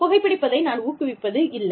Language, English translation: Tamil, I do not promote smoking